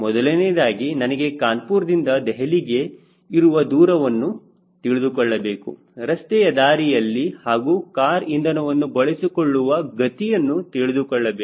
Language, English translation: Kannada, first thing, i need to know what is the distance from kanpur to delhi, the road distance and what is the fuel consumption rate of the car